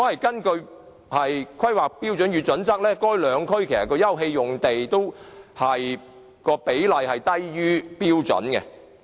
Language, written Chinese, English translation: Cantonese, 根據《規劃標準》，兩區的休憩用地的比例都低於標準。, In accordance with HKPSG the open space ratio in the two districts is below standard